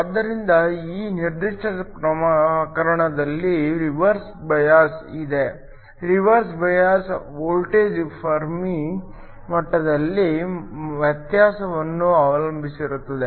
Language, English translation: Kannada, So, in this particular case there is a reverse bias, the reverse bias voltage depends upon the difference in the Fermi levels